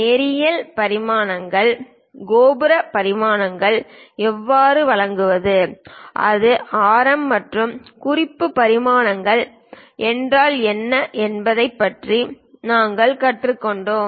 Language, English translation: Tamil, We learned something about linear dimensions, how to give angular dimensions, if it is radius and what are reference dimensions